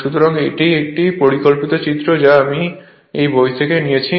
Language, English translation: Bengali, So, this is a schematic diagram which I have taken from a book right